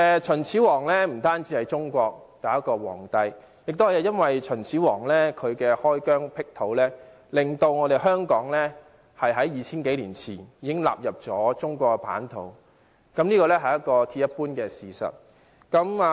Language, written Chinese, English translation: Cantonese, 秦始皇不單是中國第一位皇帝，正正由於秦始皇開疆闢土，令香港在 2,000 多年前已納入中國版圖，這是鐵一般的事實。, Qin Shi Huang was not only the first emperor of China but also the person who made Hong Kong become part of China more than 2 000 years ago through his military conquests to open up territories